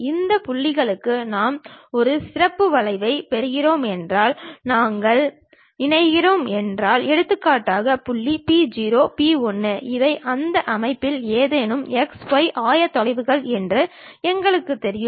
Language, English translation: Tamil, Those points, if we are joining if we are getting a specialized curve for example, the point p0, p 1 we know these are any x y coordinates of that system